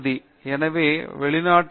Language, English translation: Tamil, But in abroad they are really